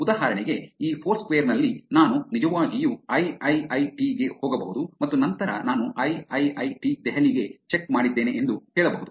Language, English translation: Kannada, In this foursquare for example I could actually walk into IIIT and then say that I have checked into IIIT Delhi